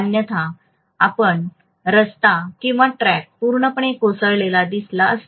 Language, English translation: Marathi, Otherwise you would have seen that the road or the tracks would have collapsed completely